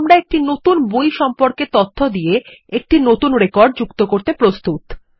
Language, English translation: Bengali, Now we are ready to add a new record, with information about a new book